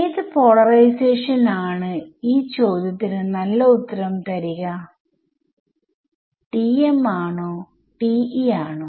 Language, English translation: Malayalam, So, which of the two polarizations will be more interesting to answer this question TM or TE